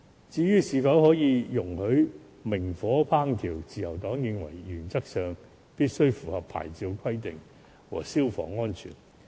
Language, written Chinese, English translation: Cantonese, 至於是否在墟市容許明火烹調，自由黨認為，原則上攤檔必須符合牌照規定和消防安全。, Regarding whether the use of naked flame should be allowed at bazaars the Liberal Party considers that in principle stalls shall comply with the licence requirements and fire safety requirement